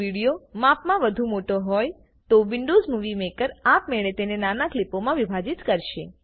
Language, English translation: Gujarati, If the video is too large, then Windows Movie Maker will automatically split it into smaller clips